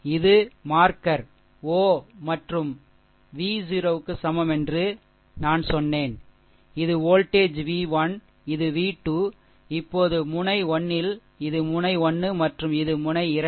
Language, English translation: Tamil, This is marker o, and I told you that v 0 is equal to this is your voltage v 1, this is v 2, now act node 1, this is your node 1 and this is your node 2